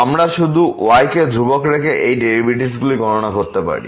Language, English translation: Bengali, We can just compute this derivative by keeping as constant